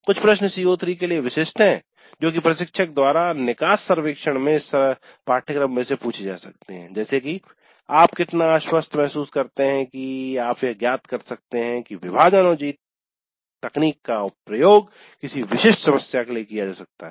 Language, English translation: Hindi, Some questions specific to CO3 that instructor can ask in this course exit survey would be how confident do you feel that you can determine if divide and conquer technique is applicable to a given specific problem